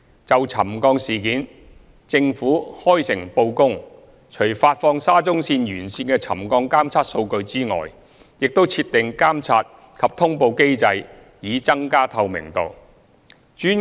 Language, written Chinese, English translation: Cantonese, 就沉降事件，政府開誠布公，除發放沙中線沿線的沉降監測數據外，亦已設立監察及通報機制以增加透明度。, In respect of the settlement issue the Government has been open and transparent not only releasing the settlement monitoring data along SCL but also establishing a monitoring and announcement mechanism to increase transparency